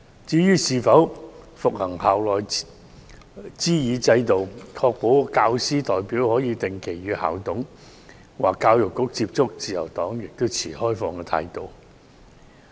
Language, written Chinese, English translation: Cantonese, 至於是否恢復推行校內諮議制度，確保教師代表可定期與校董或教育局接觸，自由黨亦持開放態度。, As for whether the system of consultation within schools should be reinstated to ensure that teacher representatives can communicate with the school managers or the Education Bureau on a regular basis the Liberal Party adopts an open attitude